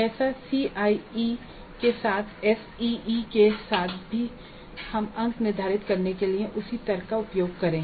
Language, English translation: Hindi, Just as with CIE, with CEE also, SE also we use the same rationale for determining the marks